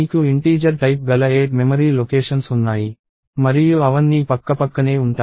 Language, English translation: Telugu, So, you have 8 memory locations of the type integer and they are all contiguous